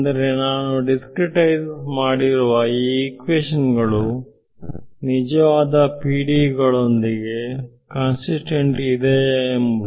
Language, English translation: Kannada, Means this system of equations, which is I have discretized, is it consistent with the actual PDEs